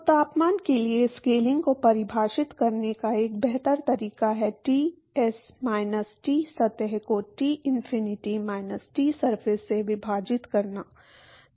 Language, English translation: Hindi, So, a better way to define a scaling for the temperature is Ts minus T surface divided by Tinfinity minus Tsurface